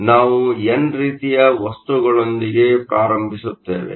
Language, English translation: Kannada, So, we will start up with an n type material